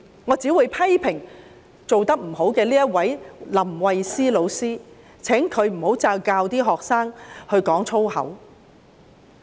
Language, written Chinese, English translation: Cantonese, 我只會批評這位做得不好的林慧思老師，請她不要再教導學生說粗言穢語。, I would only criticize LAM Wai - sze who behaved badly and remind her not to teach students swear words again